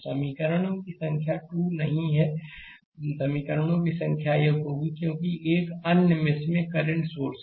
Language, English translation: Hindi, So, number of equation not 2 here, number of equation will be 1 because in another mesh the current source is there